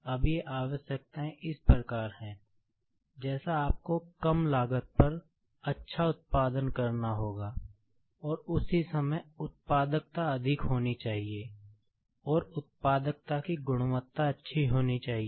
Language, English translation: Hindi, Now, these requirements are as follows: like you will have to produce good at low cost; and at the same time the productivity has to be high; and the quality of the product has to be good